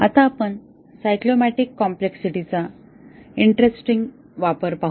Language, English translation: Marathi, Now, let us look at interesting application of the cyclomatic complexity